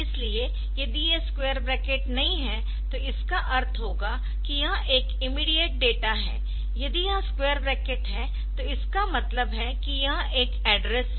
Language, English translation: Hindi, So, if these square brackets are missed are missing, then that will mean and mean and immediate data if this square brackets are there, it will mean that it is an address